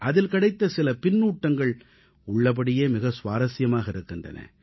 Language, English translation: Tamil, I came across some feedback that is very interesting